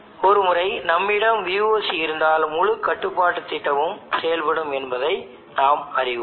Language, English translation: Tamil, Once we have VOC then we know that the entire control scheme will work